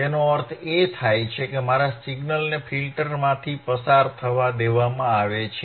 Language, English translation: Gujarati, That means, again my signal is allowed to pass through the filter,